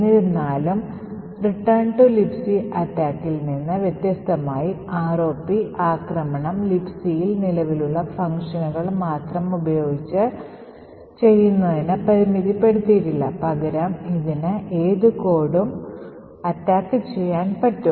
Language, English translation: Malayalam, However, unlike the return to libc attack the ROP attack is not restricted to execute functions that are present in libc, rather it can execute almost any arbitrary code